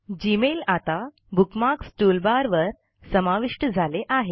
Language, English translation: Marathi, Observe that the Gmail bookmark is now added to the Bookmarks toolbar